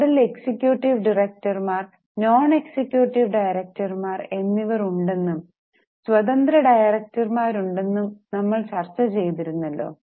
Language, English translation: Malayalam, We have just discussed that on the board you have got executive directors, non executive directors and there are also independent directors